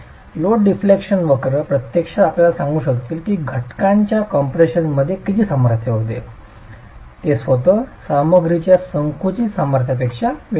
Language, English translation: Marathi, These load deflection curves will actually be able to tell you how much the strength in compression of the element is going to be different from the compressive strength of the material itself